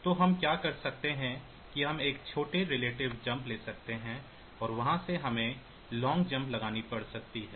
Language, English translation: Hindi, So, what we can do is that we can take a small relative jump and from there we may have to take a long jump